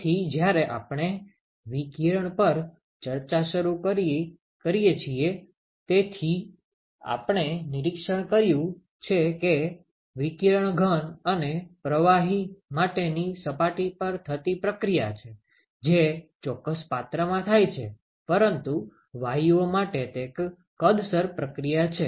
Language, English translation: Gujarati, So, when we start initiated discussion on radiation, so we observed that the radiation is a surface area process for solids and liquids, which is present in a certain container, but for gases it is a volumetric process